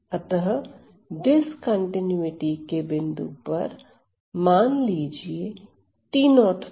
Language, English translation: Hindi, So, at the point of discontinuity let us say t 0